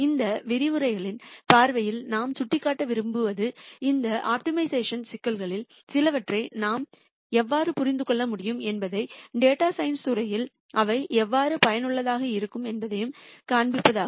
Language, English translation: Tamil, From these lectures viewpoint what we want to point out is to show how we can understand some of these optimization problems and how they are useful in the field of data science